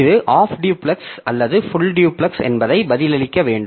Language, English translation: Tamil, So, we have to answer whether it is a half duplex or full duplex